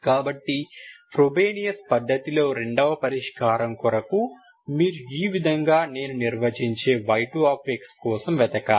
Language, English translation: Telugu, So the second solution, the second solution in the Frobenius method, you should look for y 2 of x